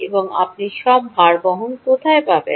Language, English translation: Bengali, and where all do you find bearing